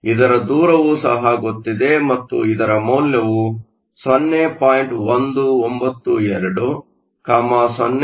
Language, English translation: Kannada, 55, this distance is also known and the value for this is 0